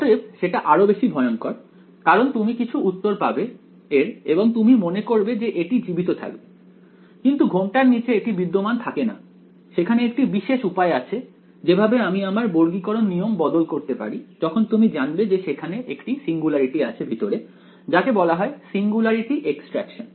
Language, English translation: Bengali, So, that is actually even scarier because you will get some answer for it and you think it exists, but under underneath the hood it does not exist there is a special technique of modifying quadrature rules when you know that there is a singularity inside it is called singularity extraction ok